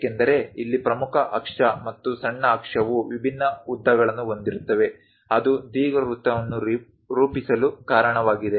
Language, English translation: Kannada, Because here the major axis and the minor axis are of different lengths, that is a reason it forms an ellipse